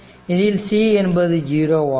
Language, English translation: Tamil, So, c is 0